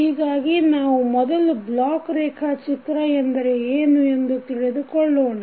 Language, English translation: Kannada, So now let us first understand what is block diagram